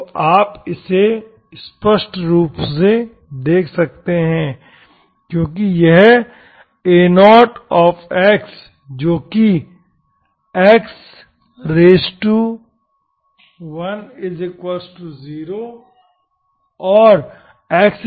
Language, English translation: Hindi, So clearly you can see that, so you see that x is, because this A0 of x which is 0 at x equal to 0 and x equal to 2